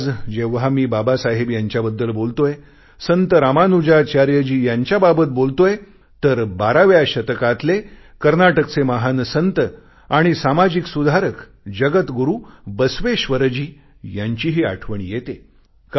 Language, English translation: Marathi, Today when I refer to Babasaheb, when I talk about Ramanujacharya, I'm also reminded of the great 12th century saint & social reformer from Karnataka Jagat Guru Basaveshwar